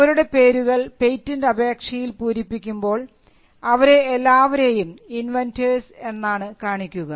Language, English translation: Malayalam, So, their names figure in filing in a patent application as the inventors